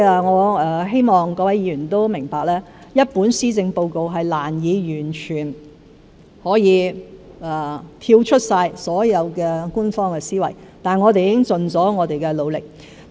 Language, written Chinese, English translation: Cantonese, 我希望各位議員明白，一份施政報告難以完全跳出所有官方思維，但我們已經盡了努力。, I hope Members will understand that it is difficult for a policy address to completely discard all official thinking but we have tried our best